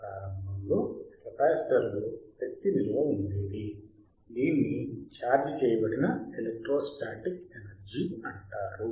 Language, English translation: Telugu, Iinitially there was a capacitor, whichit was charged that charging is called electrostatic energy